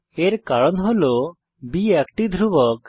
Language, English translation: Bengali, Here, b is a constant